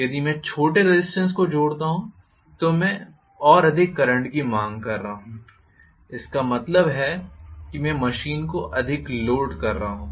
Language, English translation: Hindi, If I am connecting a larger resistance I am going to demand only a smaller current so larger resistance means loading less